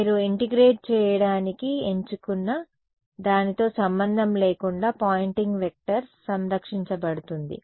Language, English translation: Telugu, The Poynting actual Poynting vector will be conserved regardless of what you choose to integrate ok